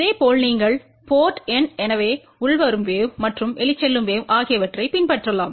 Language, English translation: Tamil, Similarly you can follow so port N so incoming wave and outgoing wave